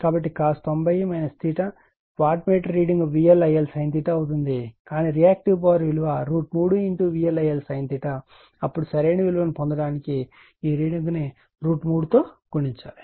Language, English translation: Telugu, So, cos ninety degree minus theta , let me wattmeter , reading will be V L I L sin theta right , but our Reactive Power is root 3 V L I L sin theta ,then this reading has to be multiplied by root 3 to get the connect reading right